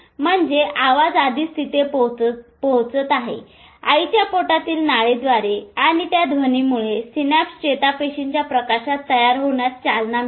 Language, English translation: Marathi, Sound is already reaching, sound is already reaching through the vibration of the mother's tummy and that sound triggers formation of synapses between the neurons